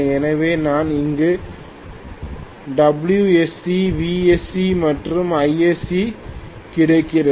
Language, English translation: Tamil, So what I get here is WSC, VSC and ISC